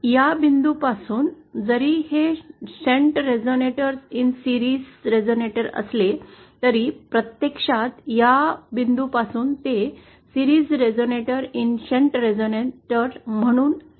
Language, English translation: Marathi, From this point, even though this is a series resonator in shunt, it actually appears as a shunt resonator in series from this point